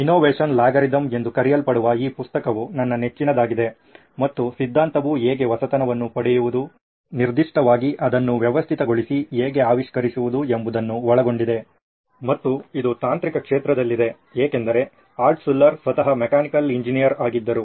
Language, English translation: Kannada, One of my favourite is this book called Innovation Algorithm and theory gives a lot of examples on how to innovate, invent particularly doing it systematically and this is in technical field because Altshuller himself was a mechanical engineer